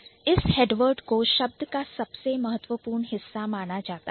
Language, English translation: Hindi, So, this head word would eventually be considered as the most important part of the word